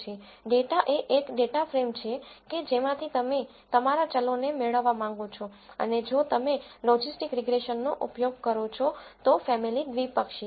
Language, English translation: Gujarati, Data is a data frame from which you want to obtain your variables and family is binomial if you use logistic regression